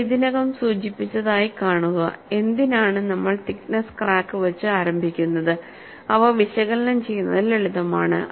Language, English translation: Malayalam, See, I had already mentioned, why we take through the thickness crack to start with is, they are simple to analyze